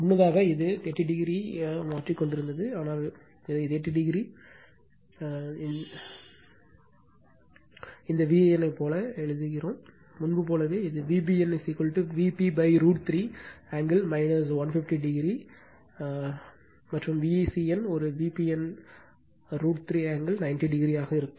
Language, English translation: Tamil, Earlier it was shifting 30 degree, but you wrote it like 30 degree this V an right, same as before So, this is then V bn is equal to V p upon root 3 angle minus 150 50 and V cn will be an V pn root 3 angle 90 degree right